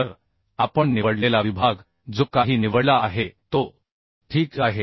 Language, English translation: Marathi, So the chosen section whatever we have chosen is ok